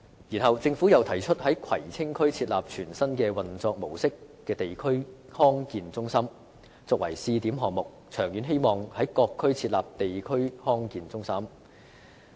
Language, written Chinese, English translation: Cantonese, 然後，政府又提出在葵青區設立全新運作模式的地區康健中心作為試點項目，並長遠希望在各區設立地區康健中心。, Then the Government proposed the pilot scheme of setting up a district health centre with a brand new operation mode in Kwai Tsing District in the hope that district health centres can be set up in various districts in the long term